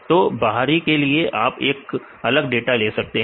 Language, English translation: Hindi, For external you take the separate data